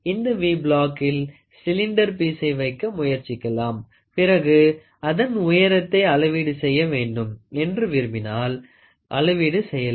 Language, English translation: Tamil, So, here in this V block, we always try to put a cylindrical piece, a cylindrical piece is put and then if you want to measure the height of it you can start measuring it